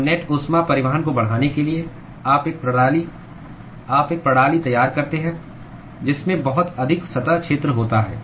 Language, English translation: Hindi, So, in order to increase the net heat transport, you design a system which has very high surface area